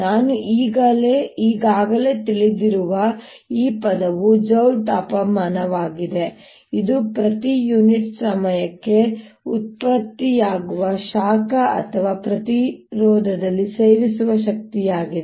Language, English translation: Kannada, this term i already know is joule heating, which is heat produced per unit time, or power consumed in the resistance